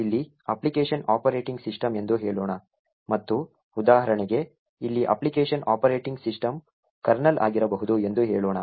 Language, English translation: Kannada, Let us say the application here would be the operating system and say for example the application here for example could be the Operating System Kernel